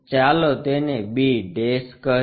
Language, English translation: Gujarati, Let us call that is b'